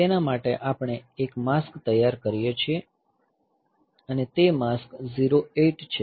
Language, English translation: Gujarati, So, for that we prepare a mask and that mask is 08 hex